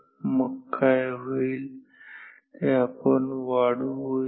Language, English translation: Marathi, And, then what will happen let us extend